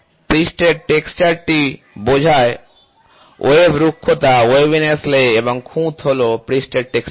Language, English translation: Bengali, The surface texture encompasses wave roughness waviness lay and flaw is surface texture